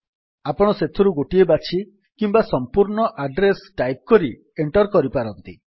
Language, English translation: Odia, You may choose one of these or type in the complete address and press Enter